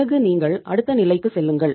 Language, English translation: Tamil, Then you move to the next level